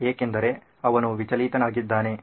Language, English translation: Kannada, So why is he distracted